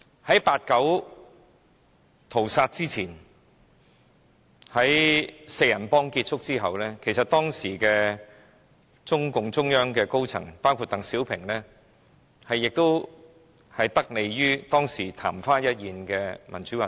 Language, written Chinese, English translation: Cantonese, 在八九屠殺前，"四人幫"結束後，當時中共中央的高層，包括鄧小平，其實曾得利於當時曇花一現的民主運動。, Between the downfall of the Gang of Four and the 1989 massacre some senior members of the CPC Central Committee including DENG Xiaoping had actually benefited from a short - lived pro - democracy movement